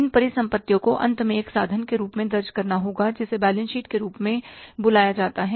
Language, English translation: Hindi, And where these assets are shown, these assets have to be finally recorded in the instrument called as the balance sheet